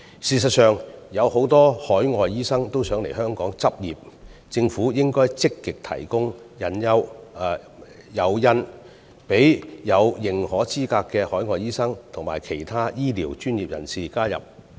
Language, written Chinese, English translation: Cantonese, 事實上，有很多海外醫生都想來香港執業，政府應該積極提供誘因，讓具認可資格的海外醫生及其他醫療專業人士來港執業。, As a matter of fact many overseas doctors would like to practise in Hong Kong . The Government should be proactive in incentivizing overseas doctors with recognized qualifications and other medical professionals to practise in Hong Kong